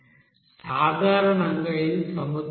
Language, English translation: Telugu, Now basically this is ocean water